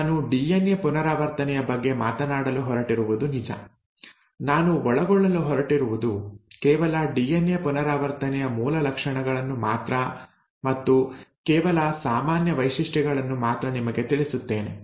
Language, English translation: Kannada, Now what I am going to talk today about DNA replication is going to hold true, what I am going to cover is just the basic features of DNA replication and just give you the common features